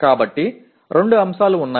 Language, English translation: Telugu, So there are 2 elements